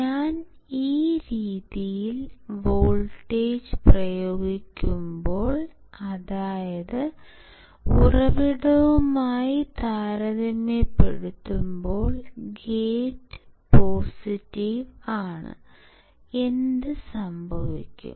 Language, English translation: Malayalam, When I apply voltage in this manner; that means, my gate is positive compared to source, my drain is positive compared to source